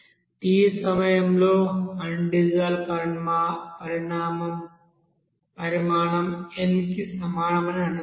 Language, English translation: Telugu, So assume that the undissolved quantity at time t is equal to n